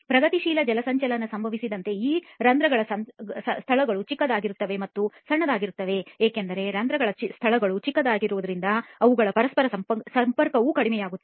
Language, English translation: Kannada, These pores spaces as progressive hydration happens tend to become smaller and smaller, as the pores spaces become smaller their interconnectivity also reduces